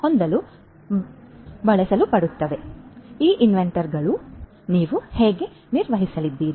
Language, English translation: Kannada, So, how you are going to manage this inventory